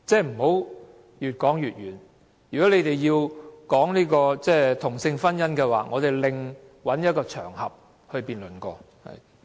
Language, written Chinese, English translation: Cantonese, 不要越說越遠，如果建制派議員要討論同性婚姻合法化，我們另覓一個場合辯論。, Do not stray too far away . If Members from the pro - establishment camp want to discuss the legalization of same - sex marriage we can find another occasion for a debate